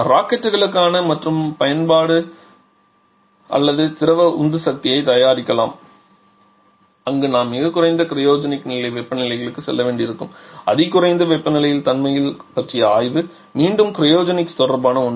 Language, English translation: Tamil, There can be another application or preparation of liquid propellants for Rockets where we may have to go to extremely low cryogenic level temperatures study of material property at ultra low temperature again something related to cryogenics